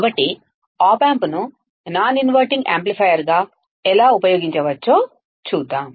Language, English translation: Telugu, So, Let us see how op amp can be used as a non inverting amplifier